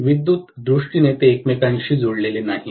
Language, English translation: Marathi, In terms of electrically they are not connected together